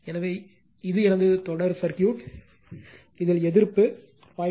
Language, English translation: Tamil, So, this is my series circuit, this is resistance is given 0